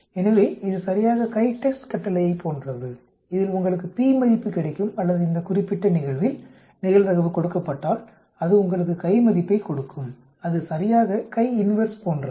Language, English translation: Tamil, So it is exactly like the CHITEST command where it gives you the p value or in this particular case, it will give you, the given the probability it will give the chi value it is exactly like chi inverse